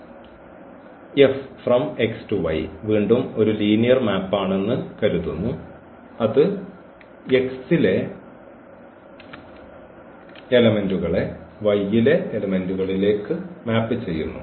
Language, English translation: Malayalam, And this let F again be a linear map which maps the elements from X to the elements in Y